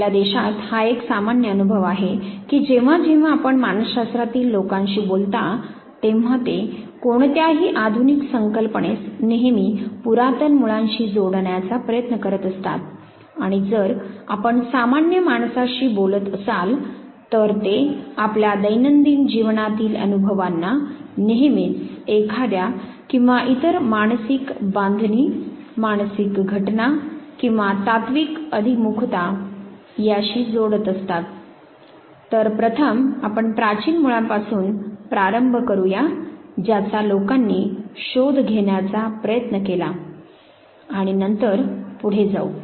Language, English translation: Marathi, It is now a common experience in our country that whenever you talk to people in psychology they would always try to connect any modern concept to the ancient roots and if you talk to common man, they would always connect all their daily life experience to one or the other psychological construct, psychological phenomena or philosophical orientation they will provide to it